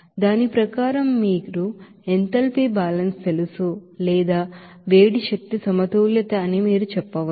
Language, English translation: Telugu, And then you know that according to that you know enthalpy balance or you can say that heat energy balance